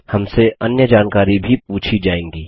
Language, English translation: Hindi, We will be asked for other details too